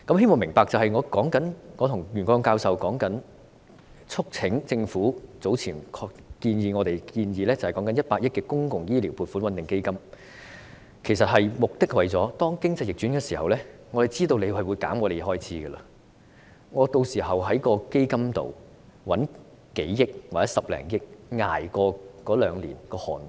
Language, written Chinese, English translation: Cantonese, 我希望大家明白，我和袁國勇教授促請政府考慮我們早前建議的100億元公帑醫療撥款穩定基金，目的是當經濟逆轉的時候，我們知道政府會削減我們的開支，屆時我們可以在基金裏動用數億元或者10多億元，捱過兩年寒冬。, I hope everybody understands that the purpose of Prof YUEN Kwok - yung and I urging the Government to consider our earlier proposal to set up a 10 billion - fund for stabilizing public health care provisions is that we can draw 1 billion or so from the fund to ride out two cold winters at times of economic downturn knowing that the Government will cut our expenditure then